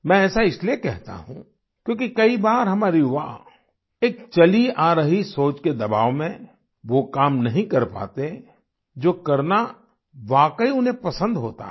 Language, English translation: Hindi, I say so since often due to pressures of traditional thinking our youth are not able to do what they really like